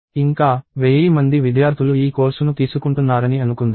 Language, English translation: Telugu, And about, let us say thousand students are taking this course